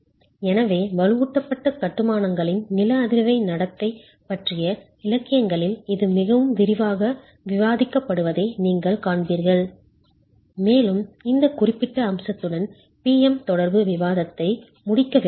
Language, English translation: Tamil, So, this is something that you will see is discussed quite extensively in the literature on seismic behavior of reinforced masonry and wanted to close the PM interaction discussion with this particular aspect